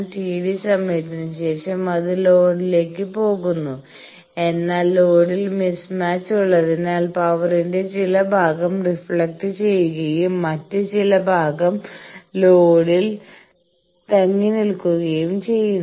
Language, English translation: Malayalam, So, after T d time it goes to load then, as there is a mismatch at the load some part of the power get reflected some part of the power stays at the load